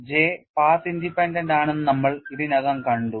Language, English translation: Malayalam, And we have already seen that J is path independent